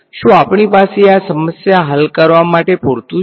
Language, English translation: Gujarati, Do we have enough to solve this problem